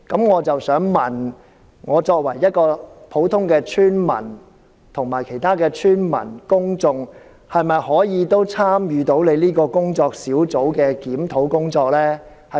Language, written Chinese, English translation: Cantonese, 我的補充質詢是，作為一名普通村民，我和其他村民及公眾是否可以參與工作小組的檢討工作？, My supplementary question is Can I as an ordinary villager join other villagers and members of the public to participate in the review of this Working Group?